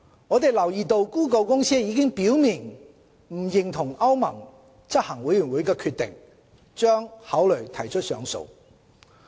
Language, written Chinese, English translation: Cantonese, 我們留意到谷歌公司已表明不認同歐盟執行委員會的決定，將考慮提出上訴。, Regarding the decision of the European Commission we note that Google Inc has expressed disagreement and would consider an appeal